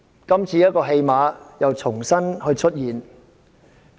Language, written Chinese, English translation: Cantonese, 今次這種戲碼又再次出現。, Such a scene will happen again this time